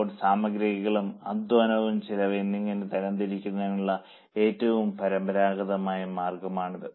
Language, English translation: Malayalam, Now, this is the most traditional way of classifying as material, labour and expense